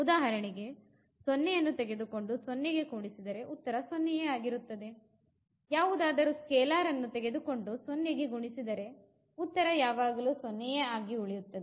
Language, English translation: Kannada, For example, you take the element the 0 and add to the 0 you will get 0 and we multiply by any scalar to the 0 the element will remain as a 0